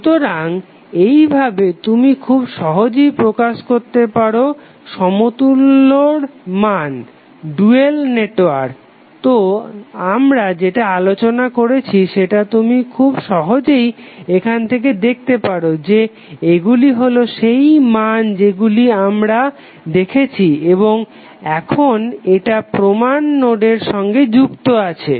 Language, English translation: Bengali, So in this way you can simply represent the values of the equivalent, dual network, so what we have discuss you can simply see from here that this are the values which we have seen and now this are connected to the reference node